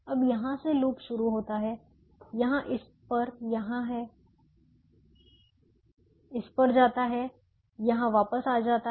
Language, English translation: Hindi, so the loops started here, it went to this, it went to this, it went to this and it came back now